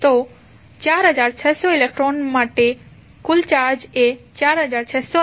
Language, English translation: Gujarati, So, for 4600 electrons the total charge would be simply multiply 4600 by 1